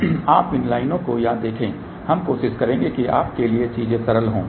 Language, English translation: Hindi, Now you see multiple these lines over here we will try to make thing simple for you